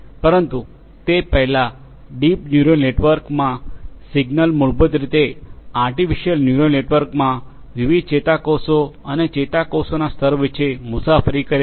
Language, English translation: Gujarati, But before that, so in a deep neural network, the signals basically travel between different neurons and layers of neurons in artificial neural network